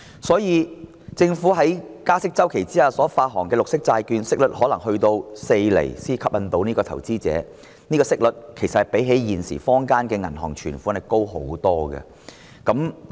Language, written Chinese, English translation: Cantonese, 因此，政府在加息周期內發行綠色債券，息率可能要有4厘才能吸引投資者。這個息率其實較現時坊間的銀行存款息率高很多。, Therefore the green bonds to be issued by the Government in the rate - hike cycle may entail a 4 % interest rate which is way higher than the current bank deposit interest rate in order to attract investors